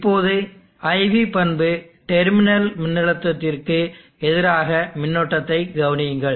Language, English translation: Tamil, Now consider the IV characteristic, Vt terminal voltage versus the current